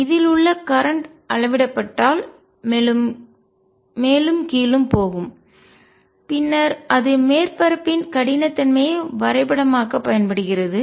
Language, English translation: Tamil, And therefore, the current in this if that is measured would be going up and down and then that can be used to map the roughness of the surface